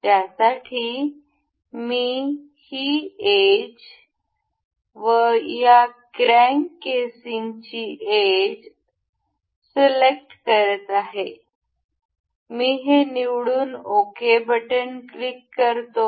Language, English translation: Marathi, For this, I am selecting this edge and this edge of this crank casing, I will select it ok